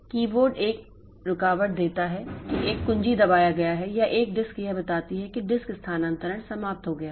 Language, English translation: Hindi, Keyboard gives an interrupt that a key has been pressed or a disk gives an interrupt telling that the disk transfer is over